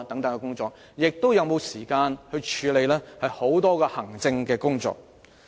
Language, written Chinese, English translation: Cantonese, 又是否有時間處理大量行政工作？, Do they have the time to cope with voluminous administrative work?